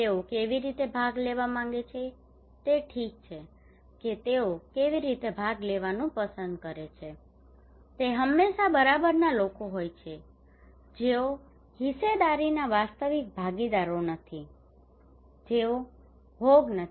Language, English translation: Gujarati, How they would like to participate okay how they would like to participate it is always the outsiders, those who are not the stakeholders real stakeholders, those who are not the victims